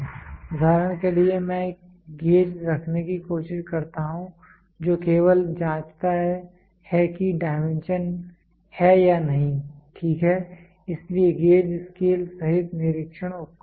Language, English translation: Hindi, For example, I try to have a gauge which only checks whether the dimension is or not, ok, so gauges are scale less inspection tool